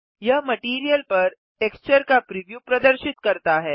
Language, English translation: Hindi, This shows the preview of the texture over the material